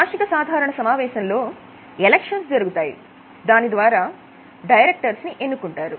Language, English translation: Telugu, So, in the annual general meeting elections are held and board is appointed